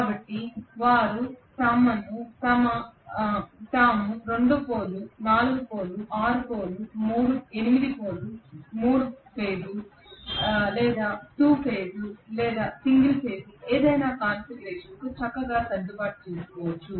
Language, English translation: Telugu, So they can adjust themselves very nicely to 2 pole, 4 pole, 6 pole, 8 pole, 3 phase, 2 phase, single phase any configuration